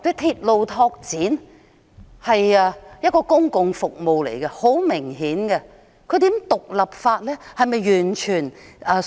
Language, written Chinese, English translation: Cantonese, 鐵路拓展很明顯是公共服務，如何將其獨立分拆出來？, Railway development obviously is a kind of public service so how can it be separated as an independent item?